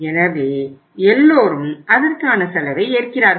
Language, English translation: Tamil, So everybody is paying the cost